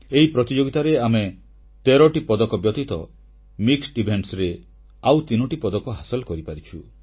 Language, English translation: Odia, At this event we won 13 medals besides 3 in mixed events